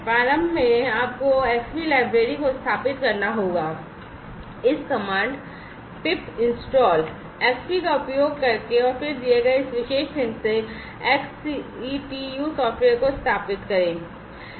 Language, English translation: Hindi, Initially, you have to install the Xbee library, using this command pip install, Xbee and then install the XCTU software from this particular link that is given